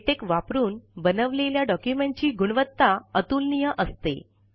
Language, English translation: Marathi, The quality of documents produced by latex is unmatched